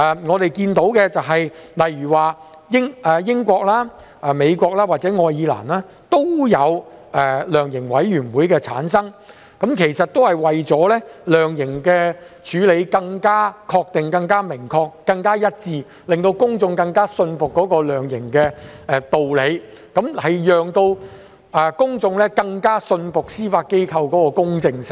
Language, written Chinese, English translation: Cantonese, 我們看到英國、美國或愛爾蘭也有設立量刑委員會，其實也是為了量刑處理可以更確切、明確和一致，讓公眾更信服量刑的道理、更信服司法機構的公證性。, We can see that the United Kingdom the United States or Ireland have all set up their own sentencing commissions or councils . In fact in so doing the sentencing can be made more definitive unequivocal and consistent and members of the public will be more convinced of the rationale behind the sentencing and the impartiality of the Judiciary